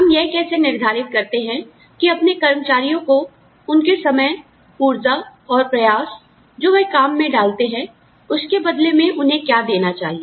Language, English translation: Hindi, How do you decide, what to give your employees, in return for the time, effort, energy, they put in, to their work